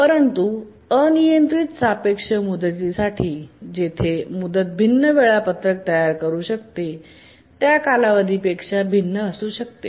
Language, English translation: Marathi, But for arbitrarily relative deadlines where the deadline may be different from the period, they may produce different schedules